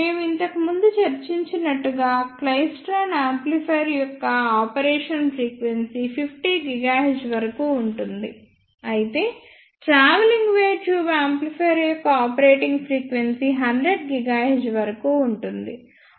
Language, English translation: Telugu, And as we discussed earlier the frequency of operation of klystron amplifier is up to 50 gigahertz, whereas the frequency of operation of a travelling wave tube amplifier is up to 100 gigahertz